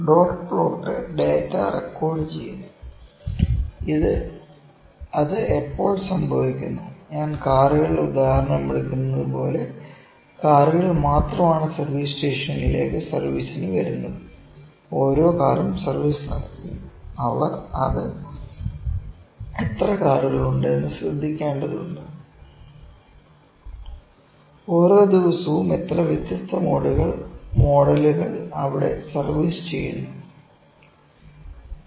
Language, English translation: Malayalam, Dot plot is recording the data as and when it is happening, like a I will took the example of the cars, only cars are coming to the service stations to get serviced and each car they get gets service just need they are just need notice that, how many cars are there